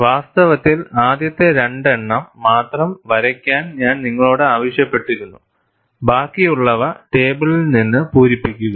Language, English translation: Malayalam, In fact, I had asked you to draw only the first two, fill up the rest from the table